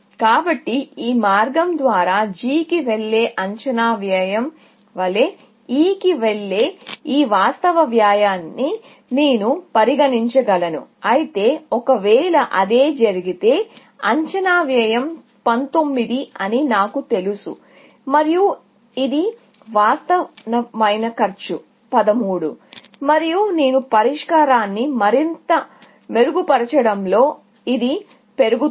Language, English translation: Telugu, So, I can treat this actual cost of going to E, as estimated cost of going to G, via this path, essentially, but even, if that were to be the case, I know that the estimated cost is 19, and this actual cost is 13, and this is only going to increase as I refine the solution further